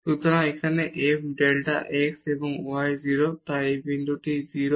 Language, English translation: Bengali, So, here f delta x and y is 0 so, this product is 0